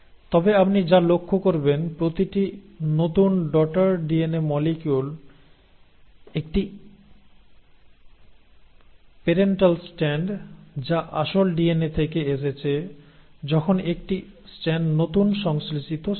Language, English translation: Bengali, But what you notice is in each new daughter DNA molecule one strand is the parental strand which came from the original DNA while one strand is the newly synthesised strand